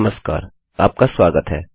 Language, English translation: Hindi, Hello and welcome